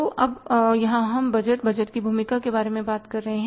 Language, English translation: Hindi, So now here we talk about the budgets